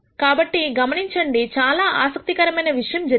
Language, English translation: Telugu, So, notice that something interesting has happened